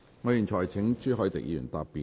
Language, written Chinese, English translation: Cantonese, 我現在請朱凱廸議員答辯。, I now call upon Mr CHU Hoi - dick to reply